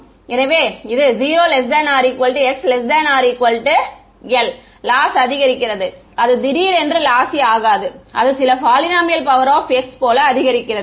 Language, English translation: Tamil, So, the loss increases as, it does not become suddenly lossy it increases as some polynomial power of x